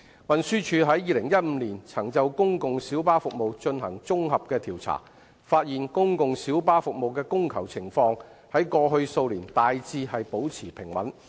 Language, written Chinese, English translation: Cantonese, 運輸署於2015年曾就公共小巴服務進行綜合調查，發現公共小巴服務的供求情況在過去數年大致保持平穩。, According to a comprehensive survey on PLB services conducted by the Transport Department in 2015 the supply and demand for PLB services had remained generally stable over the past few years